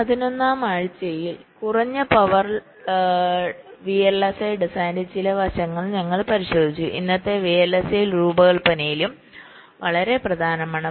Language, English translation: Malayalam, so during week eleven we looked at some of the aspects of low power vlsi design, which is also very important in present day vlsi design